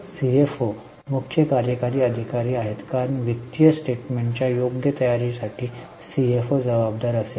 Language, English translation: Marathi, CFO is chief executive officer because CFO is will be accountable for proper preparation of financial statements